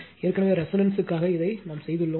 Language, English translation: Tamil, Already we have done it for resonance